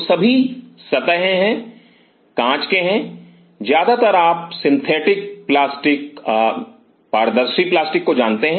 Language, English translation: Hindi, So, most all the sides are off, glass or mostly you know synthetic plastic transparent plastics